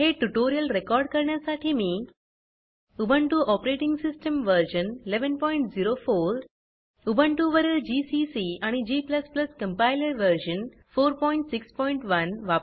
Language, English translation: Marathi, To record this tutorial, I am using Ubuntu Operating System version 11.04 gcc and g++ Compiler version 4.6.1 on Ubuntu